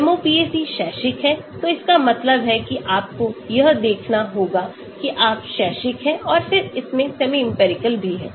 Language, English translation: Hindi, MOPAC is academic, so that means you have to show that you are in academic and then it also has the semi empirical